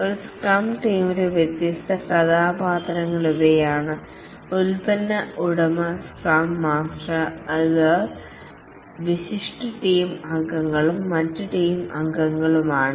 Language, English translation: Malayalam, In a scrum team, there are the product owner who is one of the team members, the scrum master who is another team member and the other team members